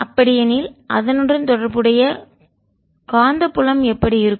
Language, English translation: Tamil, how about the corresponding magnetic field